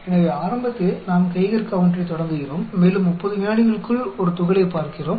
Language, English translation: Tamil, So initially, we start the Geiger counter, and within 30 seconds we see a particle